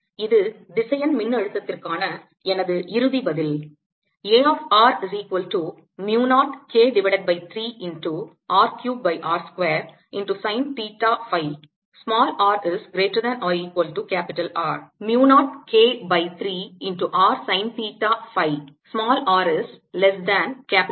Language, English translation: Tamil, this is my final answer for the vector potential